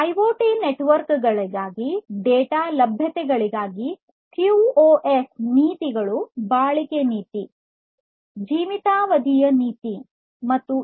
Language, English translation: Kannada, QoS policies for data availability in IoT networks include durability policy, life span policy and history policy